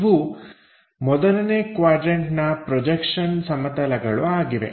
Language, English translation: Kannada, It can be in the first quadrant of projection planes